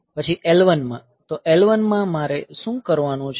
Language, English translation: Gujarati, Then in L 1; so, in L 1 what I have to do is